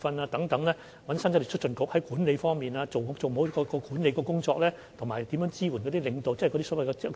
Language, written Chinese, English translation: Cantonese, 我們邀請香港生產力促進局協助，令前線管理人員能做好每一項管理工作，我們會進行全套工作。, We have invited the Hong Kong Productivity Council to our assistance so that frontline management staff can master every aspect of the management work . We will proceed in a comprehensive way